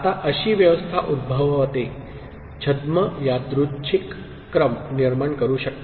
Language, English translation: Marathi, Now, such an arrangement can give rise to, can generate pseudo random sequence